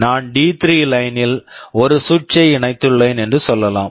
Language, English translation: Tamil, Let us say on line D3 I have connected a switch